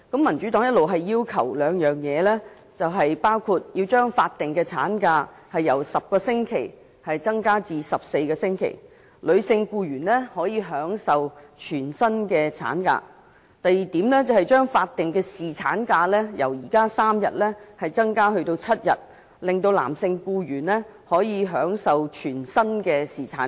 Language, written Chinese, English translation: Cantonese, 民主黨一直提出兩項要求：第一、將法定產假由10周增加至14周，女性僱員可享全薪產假；第二、將法定侍產假由現行的3天增加至7天，男性僱員可享全薪侍產假。, The Democratic Party has all along been making two requests first to extend the statutory maternity leave duration from 10 weeks to 14 weeks with full pay for female employees; second to extend the statutory paternity leave duration from the current three days to seven days with full pay for male employees